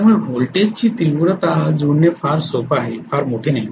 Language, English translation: Marathi, So voltage magnitude matching is very very simple, not a big deal at all